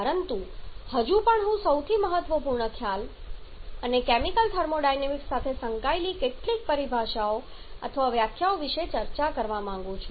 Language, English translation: Gujarati, But still I would like to discuss about the most important concept and the several terminologies or definitions which are associated with the chemical thermodynamics